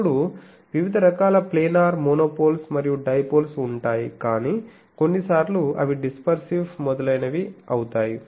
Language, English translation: Telugu, Then there are various types of planar monopoles, and dipoles, but sometimes they becomes dispersive etc